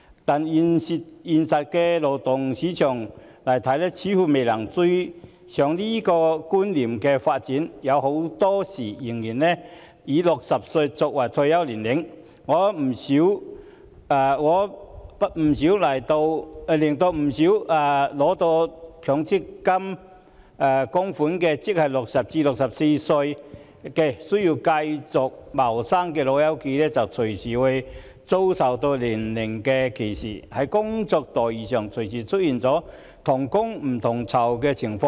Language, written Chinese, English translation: Cantonese, 但現實中的勞動市場似乎未能追上這種觀念的發展，很多時仍然以60歲作為退休年齡，令不少年屆60歲至64歲因未能取得強制性公積金供款而要繼續謀生的"老友記"隨時遭受年齡歧視，而在工作待遇上亦隨時出現同工不同酬的情況。, More often than not the retirement age is set at 60 . As a result elderly persons aged between 60 and 64 cannot retrieve their accrued benefits under the Mandatory Provident Fund System they thus have to continue working . These old pals may easily face age discrimination and discriminatory treatment like unequal pay for the same work